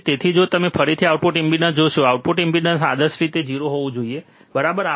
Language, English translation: Gujarati, So, if you again see output impedance, output impedance ideally it should be 0, right